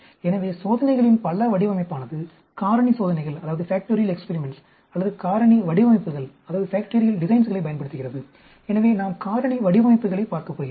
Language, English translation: Tamil, So, many design of experiments makes use of factorial experiments or factorial designs, so we are going to look at factorial designs